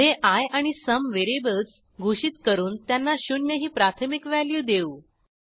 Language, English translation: Marathi, Next, we declare variables i and sum and initialize them to 0